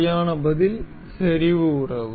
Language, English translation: Tamil, The correct answer is the concentric relation